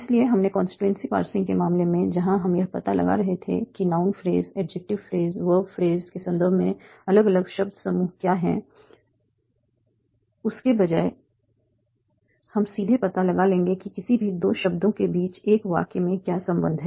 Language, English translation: Hindi, So where instead of what we did in the case of constituency passing where we were finding out what are the different word groups in terms of noun phrases, adjective phrases, work phrases, we will directly find out what is the relation between any two words in a sentence